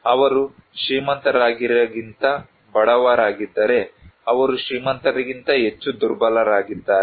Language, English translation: Kannada, If they are poor than rich, they are more vulnerable than rich